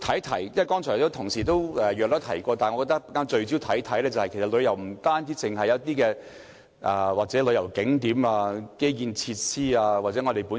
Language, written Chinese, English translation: Cantonese, 雖然剛才同事已經大概提及，但我想聚焦說說，其實旅遊不單講求旅遊景點、基建設施或天然優勢。, Although a colleague has generally mentioned this point just now I would still like to focus on it . In fact tourism is not only about tourist attractions infrastructure and natural advantages